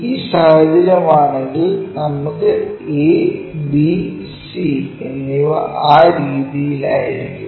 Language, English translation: Malayalam, If that is a situation we will have a, b and c will be in that way